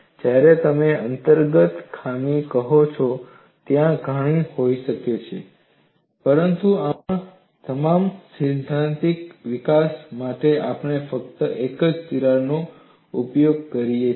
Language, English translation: Gujarati, When you say inherent flaw, there may be many, but for all our theoretical development, we just use only one crack